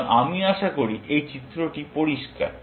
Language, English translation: Bengali, So, I hope this diagram is clear